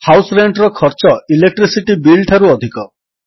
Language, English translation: Odia, The cost of House Rent is more than that of Electricity Bill